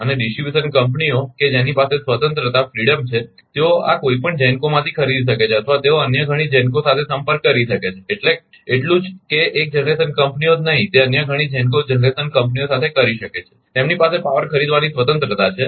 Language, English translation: Gujarati, And distribution companies they have the freedom, they can buy from either of this GENCOs or from they can contact with many other GENCO, not only with one generation companies may do it many other GENCO ah generation companies they have the freedom to purchase power